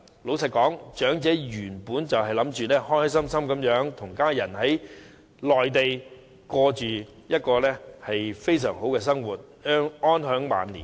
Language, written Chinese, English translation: Cantonese, 老實說，長者原本打算開開心心地跟家人在內地度過非常美好的生活，安享晚年。, Frankly speaking elderly people initially intended to live a wonderful life on the Mainland together with their families and spend their twilight years in contentment